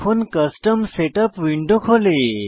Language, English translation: Bengali, Now, Custom Setup window will appear